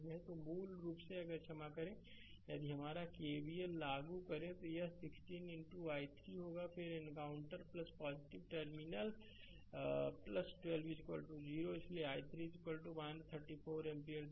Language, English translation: Hindi, So, basically if you sorry if you apply your KVL, it will be 16 into i 3 then encountering plus terminal plus 12 is equal to 0 therefore, i 3 is equal to minus 3 by 4 ampere